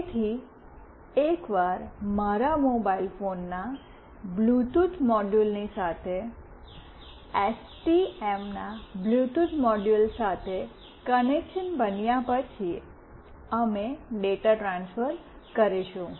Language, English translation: Gujarati, So, once the connection is built with the Bluetooth module of STM along with the Bluetooth module of my mobile phone, we will transfer the data